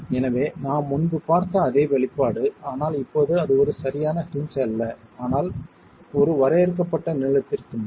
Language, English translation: Tamil, So, the same expression that we saw earlier, but now that's not a perfect hinge, but over a finite length